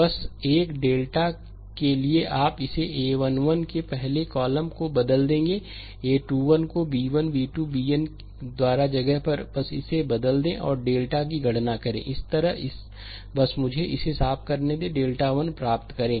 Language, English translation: Hindi, Just for delta 1 you will replace the first column of this ah of a 1 1, a 2 1 up to the place by b 1, b 2, b n, just replace it and calculate delta 1